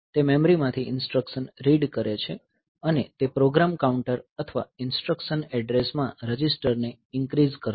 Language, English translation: Gujarati, So, it reads the instruction from the memory and it will increment the program counter or instruction address register